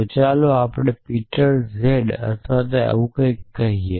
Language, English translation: Gujarati, So, a let us say Peter z or something